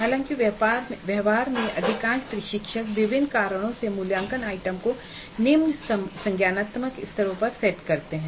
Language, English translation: Hindi, However, in practice most of the instructors do set the assessment item at lower cognitive levels for a variety of reasons